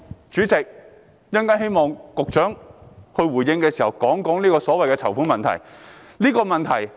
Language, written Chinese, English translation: Cantonese, 主席，我希望局長稍後回應時能談談籌款的問題。, Chairman I hope the Secretary can talk about the fund - raising issue in his response later